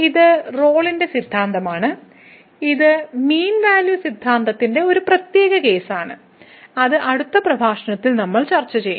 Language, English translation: Malayalam, So, this is the Rolle’s Theorem which is a particular case of the mean value theorem which we will discuss in the next lecture